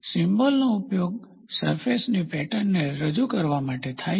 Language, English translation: Gujarati, The symbol is used to represent lay of the surface pattern